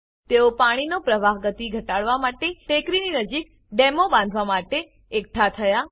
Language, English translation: Gujarati, They came together to construct check dams near the hill, to reduce water flow speed